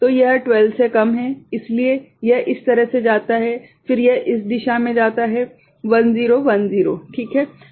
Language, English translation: Hindi, So, it is less than 12, so it go this way then it goes in this direction 1 0 1 0 right